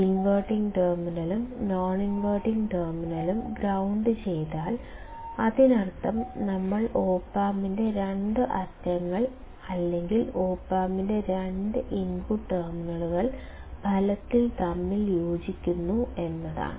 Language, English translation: Malayalam, If inverting terminal is grounded and the non inverting is also grounded, that means, it looks like we are virtually shorting the two ends of the op amp or the two input terminals of the op amp